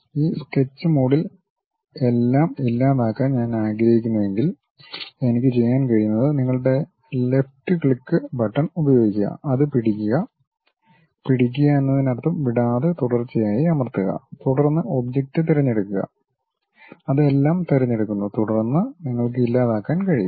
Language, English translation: Malayalam, If I want to delete everything in this Sketch mode what I can do is, use your left click button, hold it; hold it mean press continuously without releasing then select the object, then it select everything, then you can delete